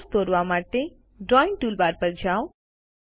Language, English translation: Gujarati, To draw a Callout, go to the Drawing toolbar